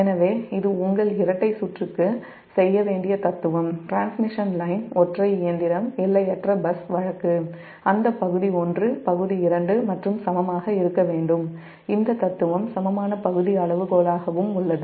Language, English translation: Tamil, so this is the philosophy for your, do, your, your, for a double circuit, your transmission line, single machine, infinite bus case, that area one must be equal to area two, and this philosophy, same as equal area criterion, here also equal area criterion